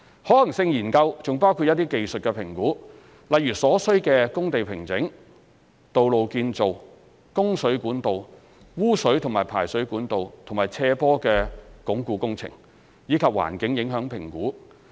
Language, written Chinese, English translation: Cantonese, 可行性研究還包括一些技術評估，例如所需的工地平整、道路建造、供水管道、污水及排水管道和斜坡鞏固工程，以及環境影響評估。, The Study also covers various technical assessments such as the required site formation works road construction works water supply pipeworks sewage and drainage works slope stabilization works and environmental impact assessments